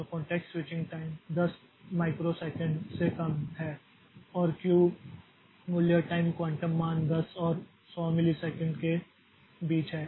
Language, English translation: Hindi, So, context switching time is in the is less than 10 microsecond and this Q value, the time quantum value is between 10 and 100 milliseconds